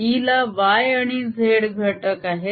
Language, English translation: Marathi, so i have b, y and b z